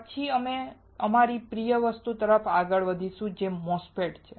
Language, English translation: Gujarati, Then we will move to our favourite thing which is MOSFET